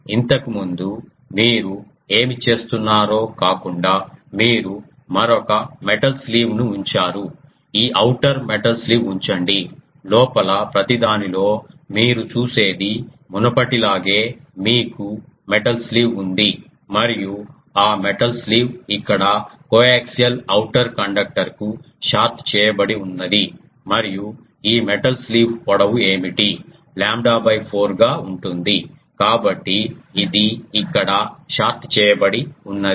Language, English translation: Telugu, What you do that whatever previously you are doing apart from that you put another metal sleeve this outer metal sleeve you see inside everything is like the previous one you have a metal sleeve and that metal sleeve is shorted to coax outer conductor here and what is the length of this metal sleeve lambda by 4, so that means, it is shorted here